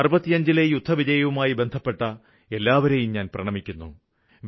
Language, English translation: Malayalam, I salute all those associated with the victory of the 1965 war